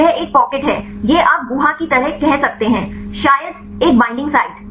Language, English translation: Hindi, So, this is a pocket, this you can say kind of cavity, probably a binding site